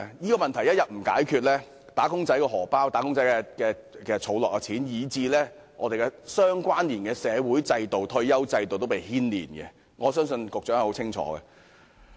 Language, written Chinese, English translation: Cantonese, 這問題一天不解決，"打工仔"的錢包、儲蓄，以至相連的社會制度及退休保障制度也會受牽連，我相信局長亦很清楚此點。, If this problem is not resolved the wallets and savings of wage earners and even the associated social institutions and retirement protection system will come under the impact . I believe the Secretary is well aware of this